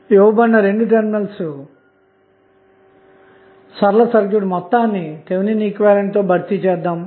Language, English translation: Telugu, So, linear 2 terminal network can be replaced by its Thevenin equivalent